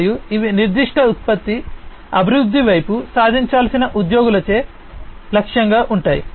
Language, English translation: Telugu, And these are targeted by the employees to be achieved, towards the development of a particular product